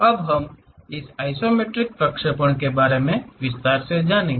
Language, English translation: Hindi, Now, we will learn more about this isometric projection in detail